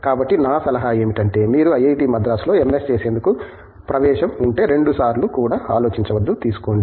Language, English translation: Telugu, So, my advice is, if you have an admission for MS in IIT Madras, donÕt even think twice; take it